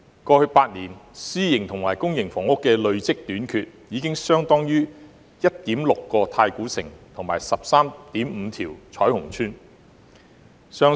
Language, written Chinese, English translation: Cantonese, 過去8年公私營房屋的累積短缺，相當於 1.6 個太古城及 13.5 個彩虹邨。, The cumulative shortfall of public and private housing units in the past eight years is equivalent to 1.6 Taikoo Shing and 13.5 Choi Hung Estate